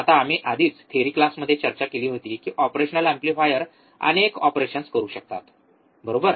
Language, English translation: Marathi, Now we have already discussed in the theory class that operational amplifiers can do several operations, right